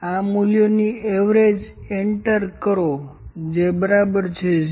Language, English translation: Gujarati, Average of these values enter which is equal to 0